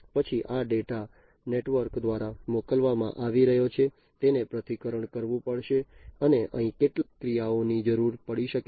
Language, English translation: Gujarati, Then this data, so this data that is being sent through the network will have to be analyzed and some actuation may be required over here